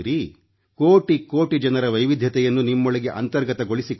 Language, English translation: Kannada, Internalize the diversities of millions of denizens of India within you